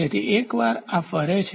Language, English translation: Gujarati, So, once this rotates